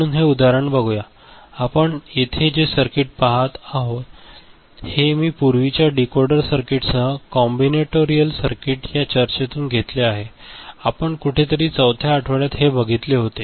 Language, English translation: Marathi, So, this example, this circuit that we see over here I have taken it from our earlier discussion with decoder circuit in the combinatorial circuit discussion ok, somewhere in week 4 or so ok